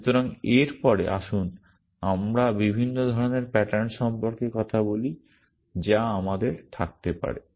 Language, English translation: Bengali, So, next let us just talk about the different kind of patterns that we can have